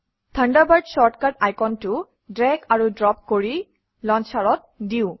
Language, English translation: Assamese, Lets drag and drop the Thunderbird short cut icon on to the Launcher